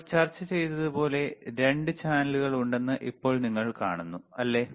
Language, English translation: Malayalam, Now you see there are 2 channels like we have discussed, right